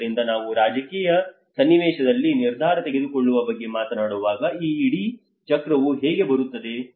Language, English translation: Kannada, So when we talk about the decision making in a political context, how this whole cycle comes